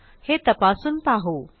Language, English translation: Marathi, You can check it out